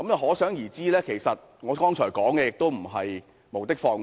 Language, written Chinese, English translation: Cantonese, 可想而知，其實我剛才所說的並非無的放矢。, It thus shows that what I said just now is actually not groundless